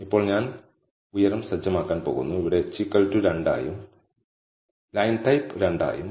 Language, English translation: Malayalam, Now, I am going to set the height, which is equal to h here, as 2 and the line type as 2